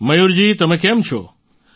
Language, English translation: Gujarati, Mayur ji how are you